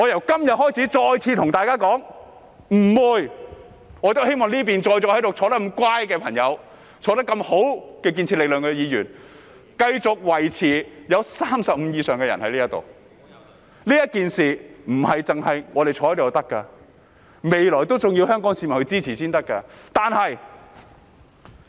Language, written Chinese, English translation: Cantonese, 今天，我再次對大家說，我希望這邊端正地坐着的建設力量的議員可以繼續維持在35位以上，這事並非我們坐在這裏便足夠，未來還要香港市民支持才可以。, Today I reiterate that I hope Members from the constructive force who are sitting properly on this side will continue to keep the headcount at above 35 . This is not enough for us to simply sit here and we need the support of the people of Hong Kong in future